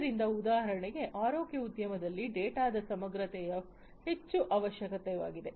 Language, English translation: Kannada, So, for example, in the healthcare industry data integrity is highly essential